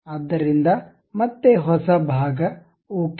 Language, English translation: Kannada, So, again new part, ok